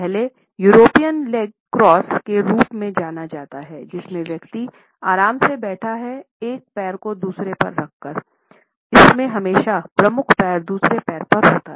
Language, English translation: Hindi, The first is known as the European leg cross, in which we find that the person is sitting comfortably, dripping one leg over the other; it is always the dominant leg which crosses over the other